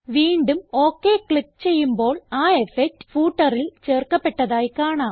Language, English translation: Malayalam, Again click on OK and we see that the effect is added to the footer